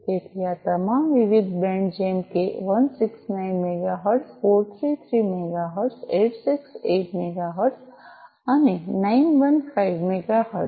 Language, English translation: Gujarati, So, all these different bands like 169 megahertz 433 megahertz 868 megahertz and 915 megahertz